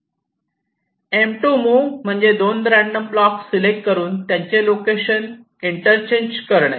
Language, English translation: Marathi, the second move, m two, says you pick up two random blocks, you interchange the locations